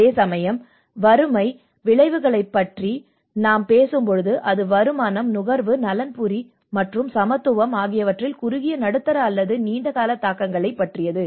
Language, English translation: Tamil, Whereas the poverty outcomes, when we say about poverty outcomes, it talks about the both short, medium on long term impacts on income, consumption, welfare and equality